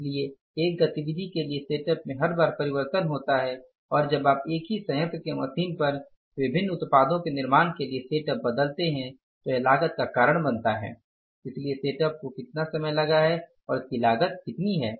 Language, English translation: Hindi, So, for change of the setup one activity is every time you are changing the setup for manufacturing the different products on the same plant or the machine so it causes the cost so how much time the setup has taken and how much cost it has caused